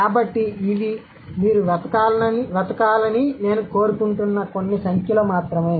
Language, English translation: Telugu, So, these are just some numbers I want you to look for